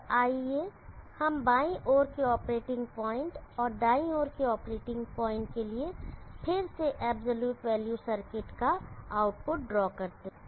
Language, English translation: Hindi, So let us draw the output of the area circuit absolute value circuit again for the left side operating point and the right side operating point